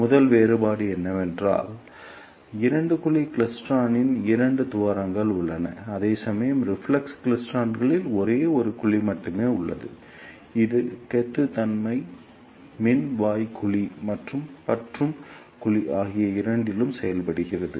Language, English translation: Tamil, The first difference is that and two cavity klystron there are two cavities, whereas in reflex klystron there is only one cavity which access both buncher cavity and catcher cavity